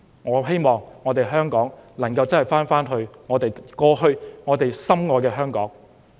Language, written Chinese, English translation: Cantonese, 我希望香港能夠變回過去我們深愛的那個香港。, I hope that Hong Kong can change back to our beloved Hong Kong